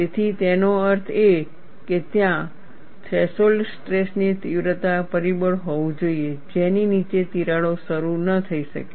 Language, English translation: Gujarati, So, that means, there has to be a threshold stress intensity factor, below which crack may not initiate